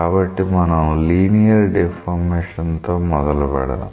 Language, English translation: Telugu, So, we will start with the linear deformation